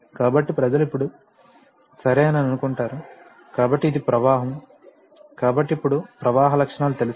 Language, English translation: Telugu, So, people will think that now okay, so this is the flow, so now I know the flow characteristics